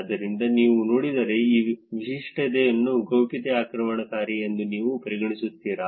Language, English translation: Kannada, So, if you see, would you consider this feature as privacy invasive